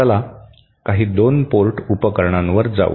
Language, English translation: Marathi, Let us go to some 2 port devices